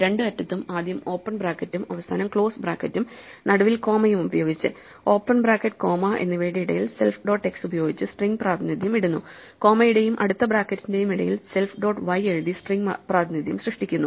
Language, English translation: Malayalam, So, what it does is, it first creates a string with the open bracket and the close bracket either end and a comma in the middle; and in between the open bracket and the comma it puts the string representation of self dot x and in between the comma and the close bracket it produces the string representation of self dot y